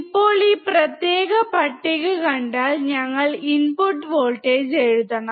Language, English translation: Malayalam, Now, if you see this particular table we have to write input voltage